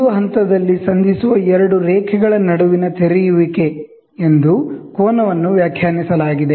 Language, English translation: Kannada, Angle is defined as the opening between two lines which meets at a point